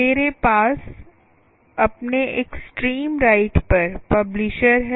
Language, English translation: Hindi, what i have on my, on my the extreme right, is the publisher